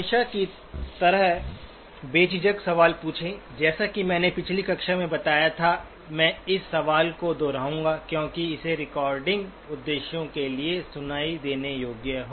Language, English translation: Hindi, As always feel free to ask questions, as I mentioned in the last class, I will repeat the question because it has to be audible for the recording purposes